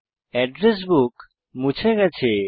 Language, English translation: Bengali, The address book is deleted